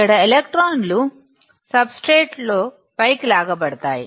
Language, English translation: Telugu, The electrons here, in the substrate; this will be pulled up